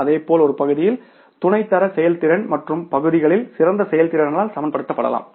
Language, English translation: Tamil, Likewise, substandard performance in one area may be balanced by a superior performance in other areas